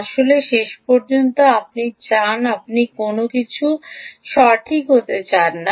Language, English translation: Bengali, ultimately, you want, you dont want anything to happen, right